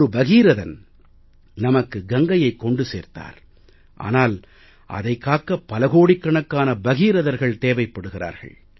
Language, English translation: Tamil, Bhagirath did bring down the river Ganga for us, but to save it, we need crores of Bhagiraths